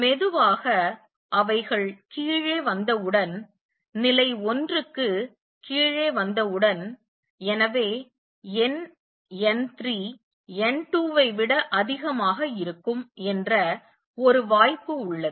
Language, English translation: Tamil, As slowly they come down as soon as they come down to level one and therefore, there is a possibility that number n 3 would become greater than n 2